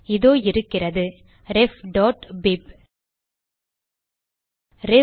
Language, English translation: Tamil, There you are, ref.bib